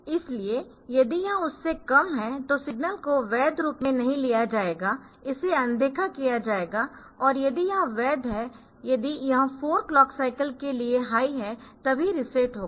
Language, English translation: Hindi, So, if it is less that in the signal will not be taken as a valid one so, it will be ignored and if it is valid if it is high for 4 clock cycles then only the reset will take place, then we have the clock signal